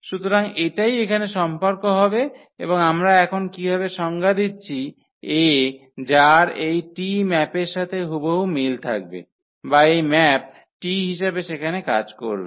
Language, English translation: Bengali, So, that will be the will be the relation here and how we define now the A which will be exactly corresponding to this map T or will function as this map T there